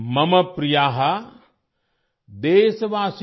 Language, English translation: Hindi, Mam Priya: Deshvasin: